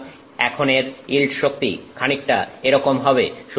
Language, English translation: Bengali, So, now its yield strength will be like this